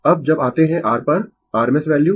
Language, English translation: Hindi, Now, when you come to your rms value